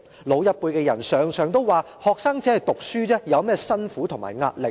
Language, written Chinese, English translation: Cantonese, 老一輩的人常常都說'學生只是讀書而已，有甚麼辛苦和壓力？, People of the older generation always say students do nothing but study what hardship or stress do they have?